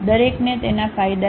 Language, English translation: Gujarati, Each one has its own advantages